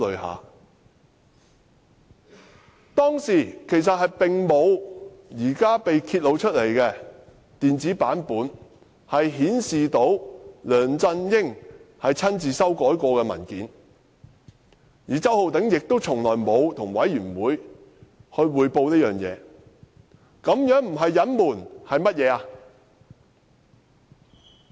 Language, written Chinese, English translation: Cantonese, 我們當時並沒有現時被揭發的電子版本，顯示梁振英曾親自修改該份文件，而周浩鼎議員亦從沒有向專責委員會匯報此事，這不是隱瞞又是甚麼？, At that time we knew nothing about the softcopy of the document as presently revealed containing amendments made by LEUNG Chun - ying personally and Mr CHOW had never reported the matter to the Select Committee . If it is not concealment what is it?